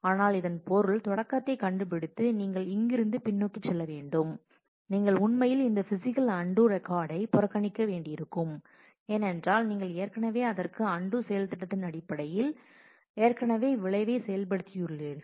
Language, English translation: Tamil, But that means, that when you go backwards from here to find the begin, you will actually have to ignore this physical undo record because you have already given effect to that in terms of the operation undo that you are doing